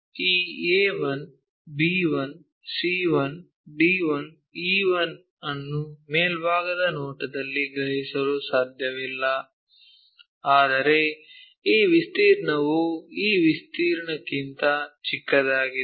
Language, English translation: Kannada, So, we cannot really sense this A 1, B 1, C 1, D 1, E 1 in the top view, but this area smaller than this area